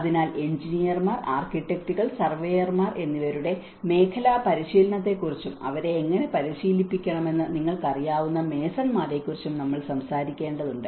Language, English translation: Malayalam, So, we also need to talk about the sectoral understanding, the sectoral training of engineers, architects, and surveyors also the masons you know how to train them